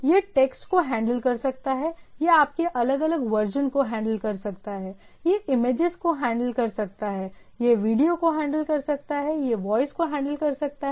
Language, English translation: Hindi, It can handle text, it can handle your different version on the thing, it can handle image, it can handle video, it can handle voice